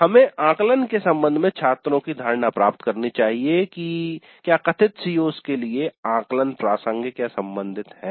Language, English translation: Hindi, So, we should get the students perception regarding the assessments, whether the assessments were relevant to the stated COs